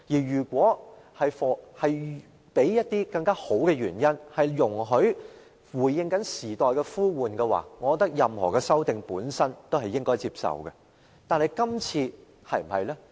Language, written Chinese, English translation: Cantonese, 如果出於好的原因回應時代呼喚，我認為任何修訂建議都應該接受。, If the proposed amendments are meant to respond to the needs of the new era I agree that we should accept the changes